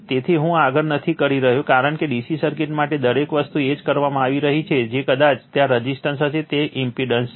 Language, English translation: Gujarati, So, I am not doing further, because means every things are being done for DC circuit the same thing that probably there will be resistance, here it is impedance right